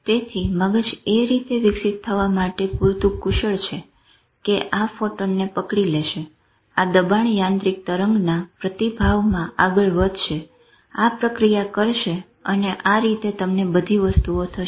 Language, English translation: Gujarati, So, the brain is smart enough to evolve in a way that this will catch the photon, this will move in response to the pressure mechanical wave, this will respond and that is how you get all this thing